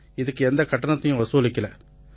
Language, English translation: Tamil, And we were not charged for that